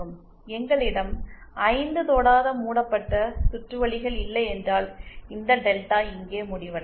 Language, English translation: Tamil, If we do not have 5 non touching loops, then this delta will end here